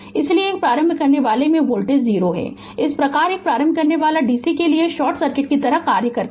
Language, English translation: Hindi, Therefore, the voltage across an inductor is 0 thus an inductor acts like a short circuit to dc right